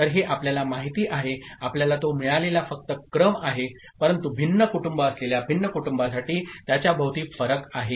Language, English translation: Marathi, So, these are you know, just the order that you get it, but for different families with different realizations, we will be having variation around it ok